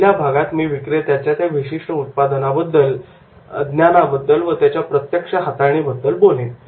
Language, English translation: Marathi, So, first part I was talking about that the salesman's knowledge about that particular product and hands on product